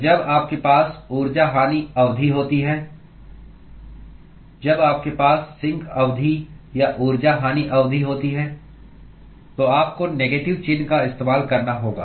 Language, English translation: Hindi, So, when you have a heat loss term, when you have a sink term or heat loss term, then you have to use a negative sign